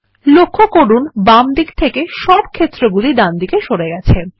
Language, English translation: Bengali, Notice that, we have moved all the fields from the left to the right